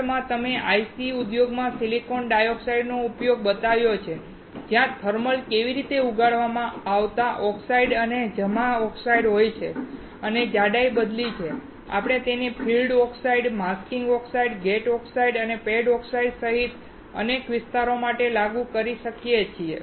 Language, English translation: Gujarati, Next, I showed you the application of silicon dioxide in IC industry, where there are thermally grown oxide and deposited oxide, and by changing the thickness, we can apply it for several layers including field oxide, masking oxide, gate oxide, and pad oxides